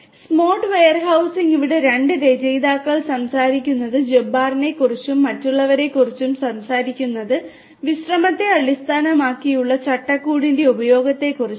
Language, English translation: Malayalam, Smart Warehousing, here the authors are talking about Jabbar et al they are talking about the use of a rest based framework